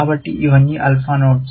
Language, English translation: Telugu, So, all these are alpha nodes